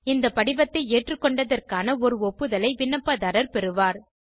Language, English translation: Tamil, Applicants will receive an acknowledgement on acceptance of this form